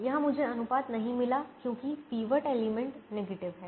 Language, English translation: Hindi, here i don't find the ratio because the pivot element is negative